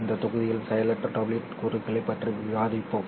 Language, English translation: Tamil, In today's module we will discuss passive WDM components